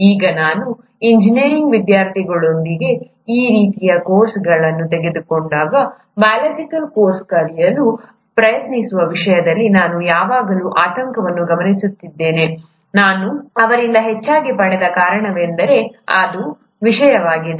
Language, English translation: Kannada, Now, most of the times when I have taken these kind of courses with engineering students, I have always noticed an apprehension in terms of trying to learn a biological course, and the reasons that I have gotten more often from them is that it's a subject which requires a lot of memorizing